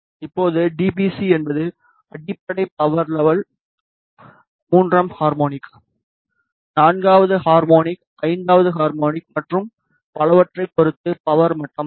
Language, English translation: Tamil, Now, dBc is the power level with respect to the fundamental power level third harmonic, fourth harmonic, fifth harmonic and so on